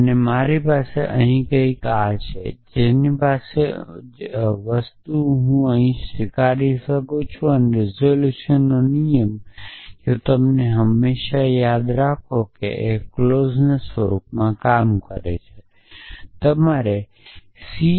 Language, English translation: Gujarati, And I have something here I have and I have the negation of that thing here resolution's rule if you remember always first of all it works in the clause form that that you must express things in c n f like form